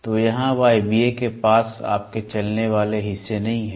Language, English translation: Hindi, So, more than mechanical pneumatic here pneumatic you do not have moving parts